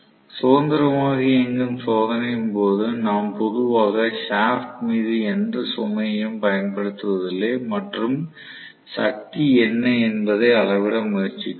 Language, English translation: Tamil, So, under free running test condition we normally apply no load on the shaft and try to measure what is the power